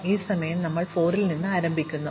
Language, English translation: Malayalam, So, this time we are starting at 4